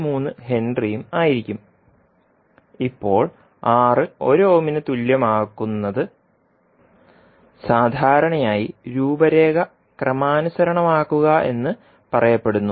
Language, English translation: Malayalam, 3 henry, now making R equal to 1 ohm generally is said that it is normalizing the design